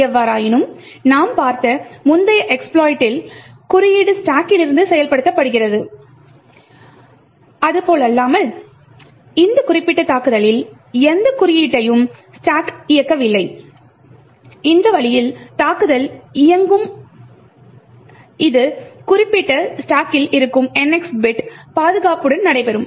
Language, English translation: Tamil, However unlike the previous exploit that we have seen where code is executed from the stack in this particular attack we do not execute any code form the stack and in this way the attack would run even with the NX bit defense that is present for that particular stack